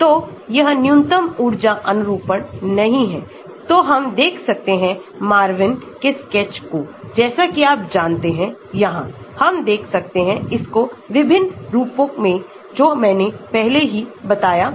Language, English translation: Hindi, So, this is not the minimum energy conformation so we can look at Marvin sketch as you know here we can view it in different forms I had mentioned it before